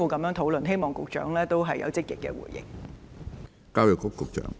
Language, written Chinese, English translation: Cantonese, 我希望局長能有積極的回應。, I hope the Secretary will respond proactively